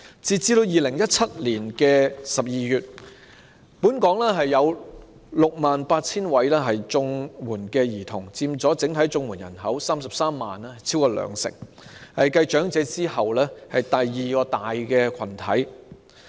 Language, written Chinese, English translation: Cantonese, 截至2017年12月，本港有 68,000 名綜援兒童，在33萬整體綜援人口之中佔超過兩成，是繼長者之後的第二大群體。, As of December 2017 there are 68 000 children receiving CSSA in Hong Kong accounting for over 20 % of the 330 000 CSSA recipients in total and they form the second largest group after elderly people